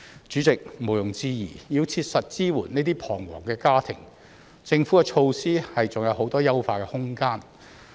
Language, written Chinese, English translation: Cantonese, 主席，毋庸置疑，要切實支援這些彷徨的家庭，政府的措施還有很多優化的空間。, President undoubtedly there is still plenty of room for the Government to optimize its measures to provide practical support for those families in distress